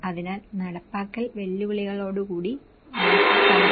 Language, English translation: Malayalam, So, I am also summarizing a few implementation challenges